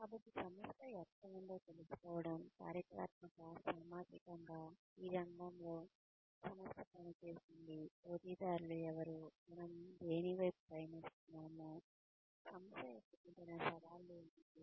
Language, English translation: Telugu, So, knowing where the organization has been situated, historically, socially, in the sector that, the organization functions in, who the competitors are, what we are moving towards, what are the kinds of challenges the organization faces